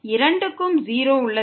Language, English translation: Tamil, So, this will be 0